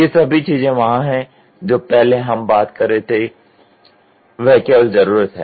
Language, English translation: Hindi, All these things are there whatever earlier we were talking about is only need